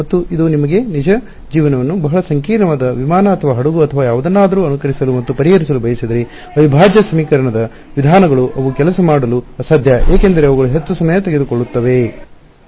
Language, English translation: Kannada, And, this also tells you that if I wanted to simulate and solve for a real life very complicated aircraft or ship or something, integral equation methods they are just impossible to work with because they take so, much time order n cube versus order n